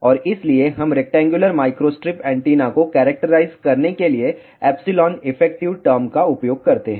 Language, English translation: Hindi, And, that is why we use the term epsilon effective for characterizing, rectangular, microstrip antenna